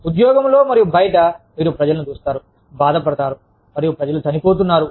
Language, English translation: Telugu, Day in and day out, you see people, getting hurt, and people dying